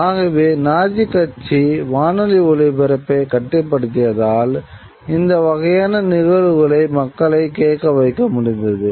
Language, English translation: Tamil, So, the Nazi party were sort of these control the radio broadcasts and used these kind of events to be able to listen to